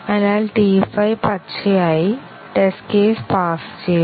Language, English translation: Malayalam, So, T 5 is also green; the test case passed